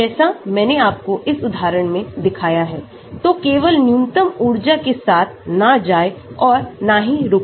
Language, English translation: Hindi, Like I showed you in some of these examples so, just do not go and stop with minimum energy